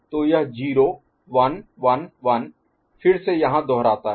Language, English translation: Hindi, So, this 0 1 1 1 again repeats here